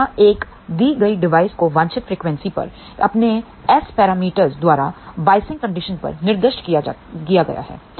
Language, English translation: Hindi, So, here a given device is specified by its S parameters at the desired frequency and given biasing conditions